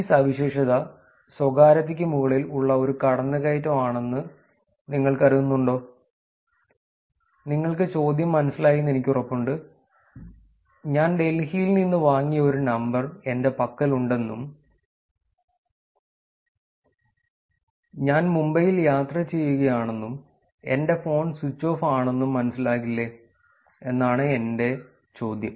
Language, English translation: Malayalam, Would you consider this feature as privacy invasive, I am sure you got the question, the question is simply that I have a number which I bought it in Delhi and I am traveling in Mumbai and my phone is switched off